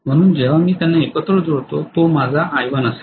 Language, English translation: Marathi, So when I add them together this is going to be my I1